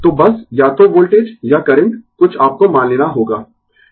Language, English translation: Hindi, So, just either voltage or current something, you have to assume right